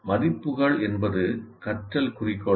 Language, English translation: Tamil, Values are learning goals